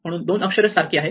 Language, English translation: Marathi, So, these two letters are the same